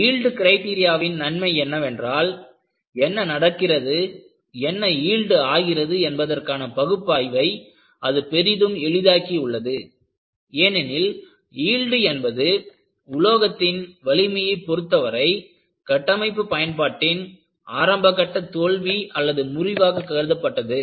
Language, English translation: Tamil, What is the advantage of yield criteria is it has greatly simplified the investigation of what happens, what causes yielding; because yielding was considered as a failure in the initial stages of structural application of, whatever the knowledge you gain in strength of materials